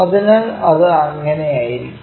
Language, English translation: Malayalam, So, it will be that